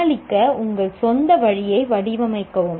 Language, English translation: Tamil, Devise your own way to deal with